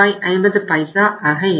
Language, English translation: Tamil, Then it is 506